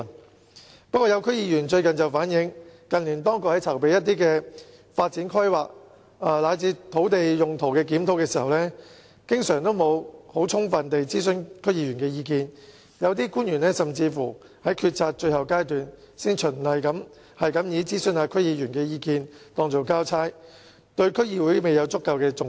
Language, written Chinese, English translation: Cantonese, 不過，最近有區議員反映，指當局近年在進行一些發展規劃及土地用途的檢討時，經常沒有充分地諮詢區議員意見，有些官員甚至是在決策的最後階段，才循例地諮詢區議員意見當作交差，對區議會沒有足夠重視。, However recently some DC members have reflected the view that in recent years when the authorities carried out reviews related to planning and land use more often than not they did not consult DC members adequately and some officials even consulted DC members as a matter of formality and perfunctory fulfillment of work requirements and only at the final stage so they did not attach sufficient importance to DCs